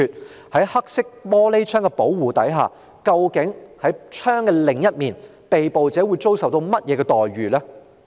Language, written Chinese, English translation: Cantonese, 那麼，在黑色玻璃的保護下，究竟在車窗的另一面，被捕者會遭受甚麼樣的待遇呢？, Then under the protection of dark tinted glasses what treatment will the arrested be given on the other side of the vehicle windows?